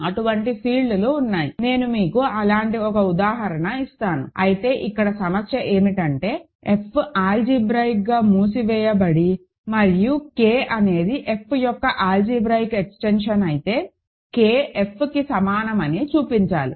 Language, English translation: Telugu, There are such fields I will give you one example in a minute, but the exercise here is to show that, if F is algebraically closed and K is an algebraic extension of F show that K equal to F